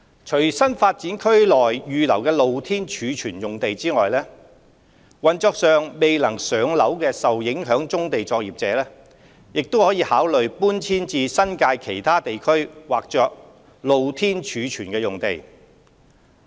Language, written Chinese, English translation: Cantonese, 除新發展區內預留的露天貯物用地外，運作上未能"上樓"的受影響棕地作業者亦可考慮搬遷至新界其他地區劃作"露天貯物"的用地。, Apart from the open storage land reserved in the NDAs affected brownfield operators who are unable to relocate their businesses to MSBs may also consider other areas zoned Open Storage in the New Territories